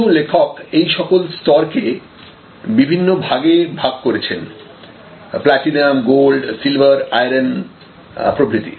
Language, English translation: Bengali, So, some authors have talked about this tiering has platinum, gold, silver, iron and so on